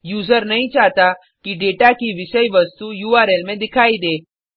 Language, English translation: Hindi, the user does not want the contents of the data to be visible in the URL